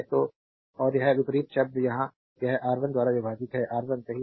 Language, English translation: Hindi, So, and this is the opposite term here it is R 1 you divided by you divide it by R 1 right